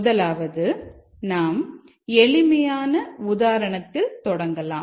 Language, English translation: Tamil, First we start with something very simple